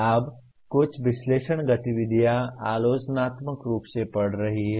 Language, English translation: Hindi, Now some of the analyze activities are reading critically